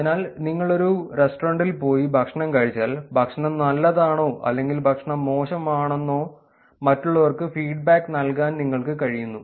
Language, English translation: Malayalam, So, the idea is you got to restaurant you have food you want to actually give feedback to others saying the food was good or the other way the food was bad